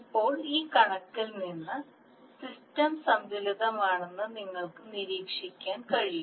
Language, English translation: Malayalam, Now from this figure, you can observe that the system is balanced